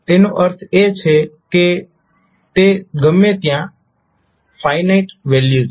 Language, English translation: Gujarati, So it means that anywhere it is a finite value